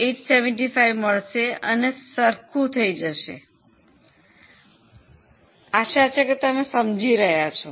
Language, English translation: Gujarati, 875 and then everything matches